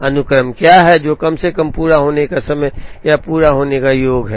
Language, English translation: Hindi, What is the sequence that minimizes, mean completion time or sum of completion times